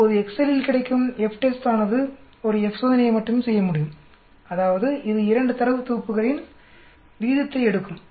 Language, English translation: Tamil, Now FTEST which is available in Excel can just do a F test alone, that means it will take a ratio of 2 data sets